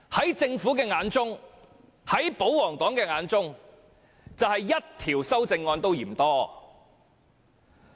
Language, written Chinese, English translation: Cantonese, 在政府及保皇黨的眼中，即使只得1項修正案也嫌多。, In the eyes of the Government and the royalists proposing even one amendment to the Budget is too many